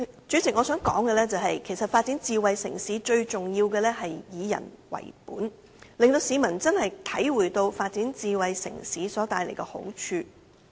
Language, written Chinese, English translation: Cantonese, 主席，其實發展智慧城市最重要是以人為本，令市民體會到發展智慧城市所帶來的好處。, We hope the Government can really implement all these policies . President it is most important that the development of smart city should be people - oriented so that the public can experience the advantages brought by the development